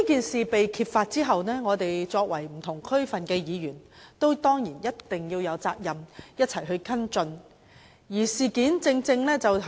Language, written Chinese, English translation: Cantonese, 事情被揭發後，我們作為不同地區的區議員，當然有責任共同跟進。, After the unveiling of the incident as members of various District Councils it was of course our responsibility to follow up the incident together